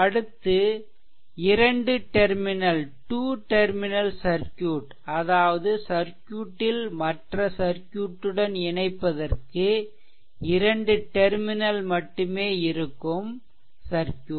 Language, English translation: Tamil, Now, next is that your by two terminal circuit we mean that the original circuit has only two point that can be connected to other circuits right